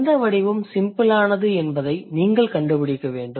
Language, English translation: Tamil, So, you need to find out which one, which form is simpler